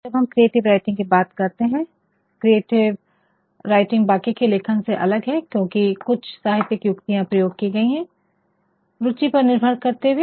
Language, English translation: Hindi, So, when we have we are talking about creative writing, creative writing is different from other forms of writing only because of some literary devices being used, depending upon